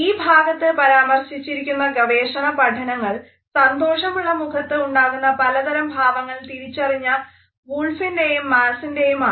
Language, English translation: Malayalam, The research which is often cited in this context is by Wolf and Mass which is identified various facial expressions which convey a happy face